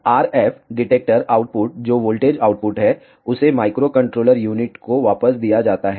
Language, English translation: Hindi, The RF detector output which is the voltage output is given back to the microcontroller unit